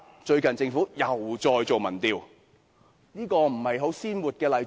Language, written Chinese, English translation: Cantonese, 最近政府又再進行民調，這不是很鮮活的例子嗎？, Recently the Government has conducted an opinion survey again . Is this not a vivid example?